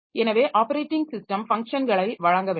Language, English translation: Tamil, So operating system must functions